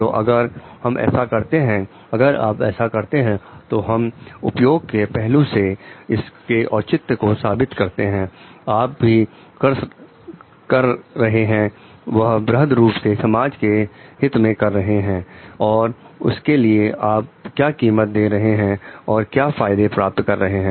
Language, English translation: Hindi, So, if we are doing if you are doing so maybe we can justify it from the utilitarian perspective like, whatever you are doing is in the greater interest of the public at large and there the that is what is the benefit you are getting and the cost maybe